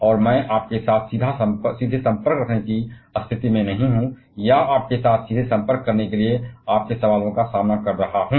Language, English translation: Hindi, And I am not a in a position to have direct interaction with you, or have eye contact with you, face your questions directly